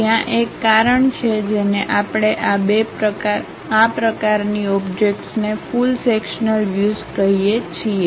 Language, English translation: Gujarati, There is a reason we call such kind of objects as full sectional views